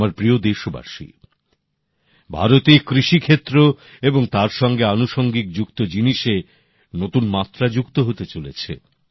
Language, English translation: Bengali, new dimensions are being added to agriculture and its related activities in India